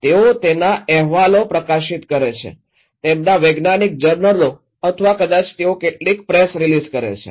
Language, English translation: Gujarati, They publish reports, their scientific journals or maybe they do some press release